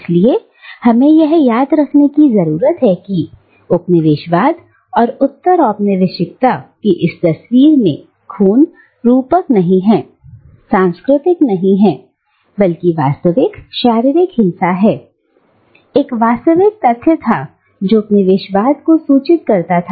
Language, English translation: Hindi, And therefore, we need to remember, that the blood in this picture of colonialism and postcolonialism is not metaphorical, is not cultural, but real physical violence, was a real fact that informed colonialism